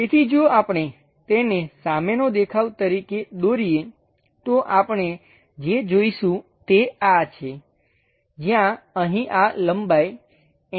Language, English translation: Gujarati, So, if we are drawing it as a front view, what we will see is this, where here this entire length is 80